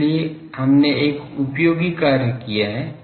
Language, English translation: Hindi, So, we have done an useful thing